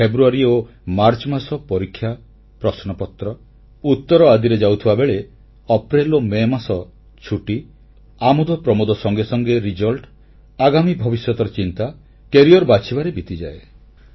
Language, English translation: Odia, Whereas February and March get consumed in exams, papers and answers, April & May are meant for enjoying vacations, followed by results and thereafter, shaping a course for one's life through career choices